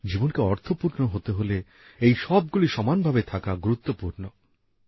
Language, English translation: Bengali, In a way if life has to be meaningful, all these too are as necessary…